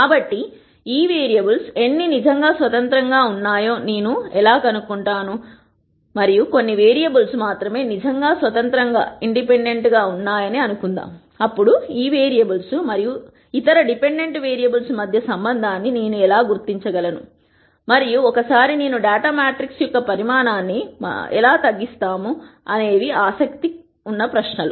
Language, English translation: Telugu, So, how do I nd out how many of these vari ables are really independent and let us assume that I do and that only a few variables are really independent, then how do I identify the relationship between these variables and the other dependent variables and once I do that how do we actually reduce the size of the data matrix and so on; are questions that one might be interested in answering